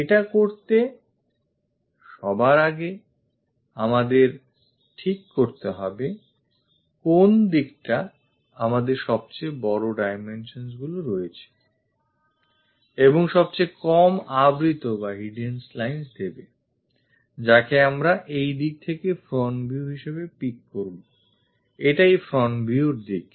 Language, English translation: Bengali, First of all to do that, we have to decide which direction gives us maximum dimensions and minimal hidden lines; that we will pick it as front view in this direction, this is the front view direction